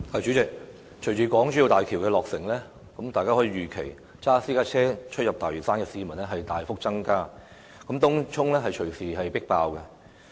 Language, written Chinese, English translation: Cantonese, 主席，隨着港珠澳大橋的落成，大家可以預期駕駛私家車往返大嶼山的市民會大幅增加，東涌隨時會出現"迫爆"的情形。, President with the completion of HZMB the number of people driving private vehicles to and from Lantau is expected to rise significantly which might lead to explosion in Tung Chung at any time